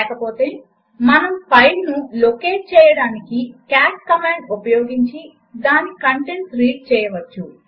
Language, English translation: Telugu, Otherwise we can use the cat command to locate the file and read the contents of it